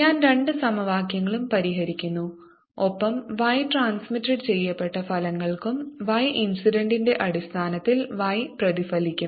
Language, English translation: Malayalam, i solve the two equations and i'll get results for y transmitted and y reflected in terms of y incident